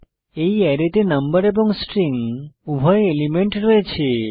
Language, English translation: Bengali, This array has elements of both number and string type